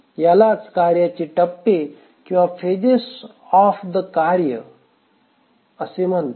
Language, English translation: Marathi, So, this is called as the phase of the task